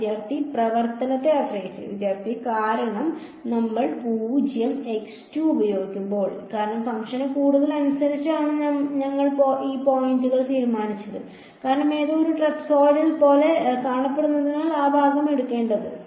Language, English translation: Malayalam, Because when we using 0 x 2 because, we decided these points by the more of the function, because something looks like a trapezoidal then we have to take that section